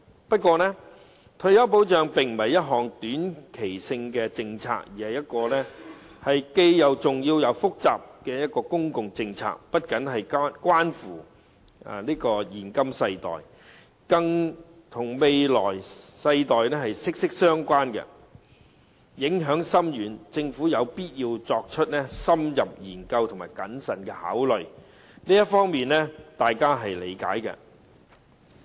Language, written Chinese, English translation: Cantonese, 不過，退休保障並非一項短期政策，而是既重要又複雜的公共政策，不僅關乎現今世代，更與未來世代息息相關，影響深遠，政府有必要作出深入研究和謹慎考慮，這方面大家是理解的。, Yet retirement protection is not a short - term policy . Rather it is an important and complicated public policy which is not only concerned with the present generation but also closely related to the future generations with far - reaching impacts . It is imperative that the Government conduct an in - depth study with careful considerations